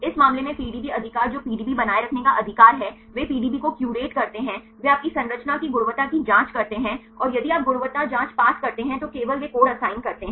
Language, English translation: Hindi, In this case the PDB right who is the maintain the PDB right they curating the PDB they check the quality of your structure and if you pass the quality check then only they assign the code